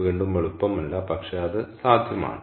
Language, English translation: Malayalam, ok, again, not easy, but it is possible